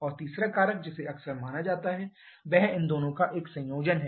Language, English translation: Hindi, And the third factor quite often considered is a combination of these 2